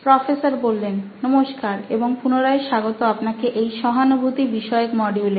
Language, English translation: Bengali, Hello and welcome back to this module on empathize